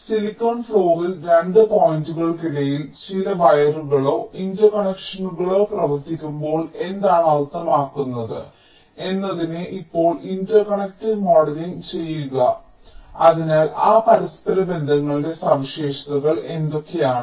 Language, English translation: Malayalam, now interconnect modeling what it means, that when some wires or interconnections are run between two points on the silicon floor, so what are the properties of those interconnections